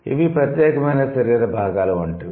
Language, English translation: Telugu, So, these are like the distinct body parts